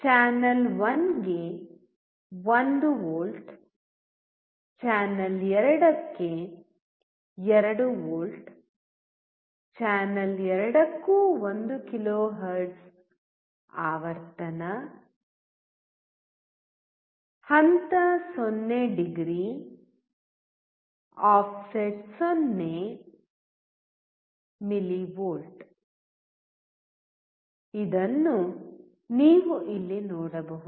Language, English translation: Kannada, You can see here 1 volts applied to channel 1, 2 volts applied to channel 2, 1 kHz frequency for both the channel, phase is 0 degree, offset is 0 millivolt